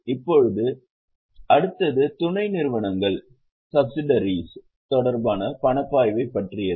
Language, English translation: Tamil, Now next one is about cash flow related to subsidiaries